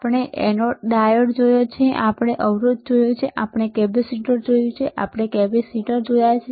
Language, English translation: Gujarati, We have seen diode then we have seen resistor, we have seen resistor we have seen capacitor we have seen bigger capacitor